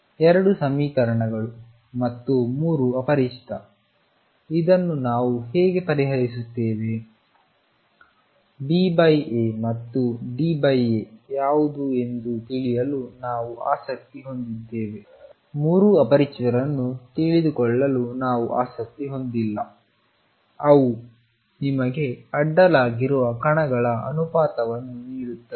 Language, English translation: Kannada, There are 2 equations and 3 unknowns how do we solve this we are not interested in knowing all 3 unknowns all we are interested in knowing what is B over A and D over A, they will give you the ratio of the particles that go across